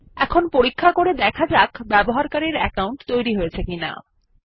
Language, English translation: Bengali, Let us now check, if the user account has been created